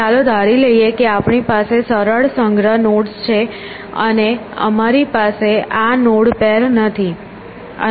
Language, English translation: Gujarati, Let us assume that we have simple collection nodes and we do not have these node pairs and